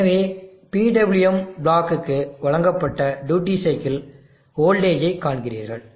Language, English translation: Tamil, So you see that the duty cycle voltage given to the PWM block